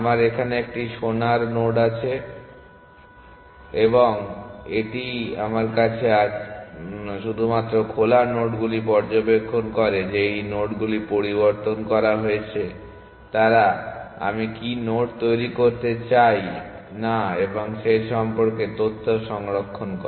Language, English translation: Bengali, I have a gold node here and that is all I have, only nodes on the open observe that these nodes are modified they store information about what nodes I do not want to generate